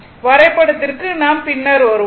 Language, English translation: Tamil, Now, for the diagram we will come later